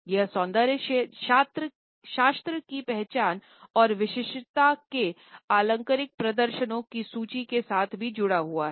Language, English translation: Hindi, It is also associated with the rhetorical repertoire of aesthetics identity and uniqueness